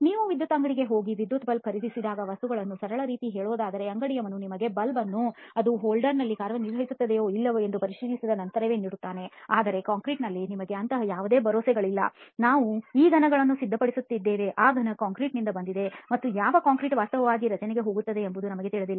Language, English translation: Kannada, Just to put things in a simple manner when you go an electrical shop and buy an electric bulb right, the shopkeeper gives you the bulb only after checking it whether it works in the holder or not okay, but in concrete we do not have any such guarantees we just prepares these cubes you do not know what concrete that cube is from and what concrete actually goes into the structure